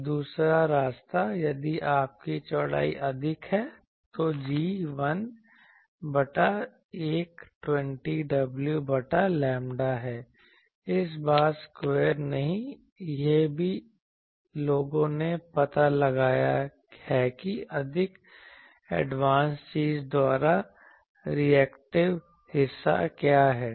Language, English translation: Hindi, And the other way round if you have width more, then G is 1 by 120 w by lambda, this time not square this is also people have found out that what is a reactive part by more advanced thing